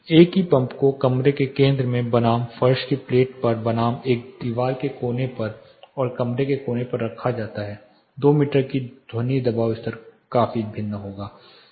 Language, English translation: Hindi, The same pump put in the center of the room versus fixed on the floor plate versus fixed on a wall corner and fixed on a room corner the sound pressure level at 2 meter is considerably going to vary